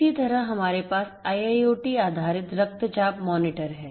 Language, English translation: Hindi, Similarly, one could have one has we have IIoT based blood pressure monitors